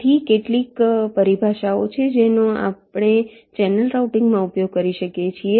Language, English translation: Gujarati, ok, so there are some terminologies that we use in channel routing: track